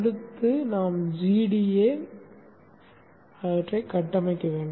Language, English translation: Tamil, Next we need to configure GEDA